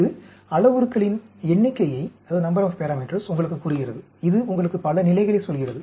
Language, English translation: Tamil, This tells you number of parameters; this tells you number of levels